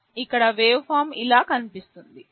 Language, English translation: Telugu, Here the waveform will look something like this